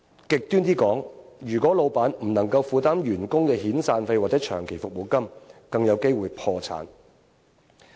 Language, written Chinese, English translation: Cantonese, 極端點說，如果老闆不能負擔員工遣散費或長期服務金，更有機會破產。, In the worst case company owners may go bankrupt if they cannot afford employees severance payments or long service payments